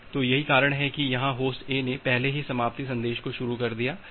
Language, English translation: Hindi, So, so that is the reason here that Host A has already initiated that finish message